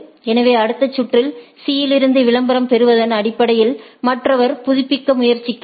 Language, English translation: Tamil, So, and based on that in the next round getting the advertisement from C, the other tries to update